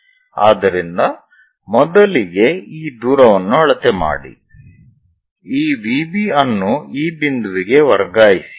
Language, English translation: Kannada, So, first of all measure this distance transfer this V B to this point